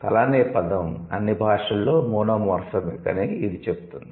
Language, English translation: Telugu, It says, the word for head is monomorphic in all languages